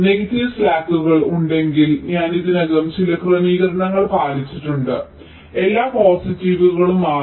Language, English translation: Malayalam, if there are negative slacks, i have already meet some adjustments so that the slacks are become all positive